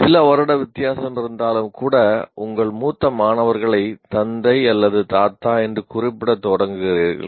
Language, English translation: Tamil, Even a few years, you already start referring to your senior student as what do you call father or grandfather kind of thing